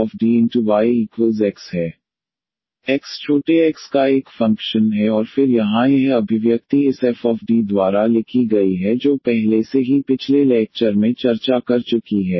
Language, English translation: Hindi, X is a function of small x and then this expression here is written by this f D which has been already discussed in previous lecture